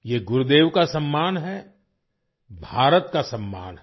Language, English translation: Hindi, This is an honour for Gurudev; an honour for India